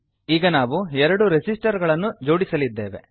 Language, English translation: Kannada, We will now interconnect two resistors